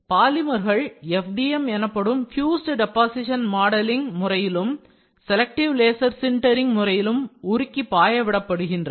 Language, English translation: Tamil, So, polymers melt and flow in FDM process fused deposition modelling and selective laser sintering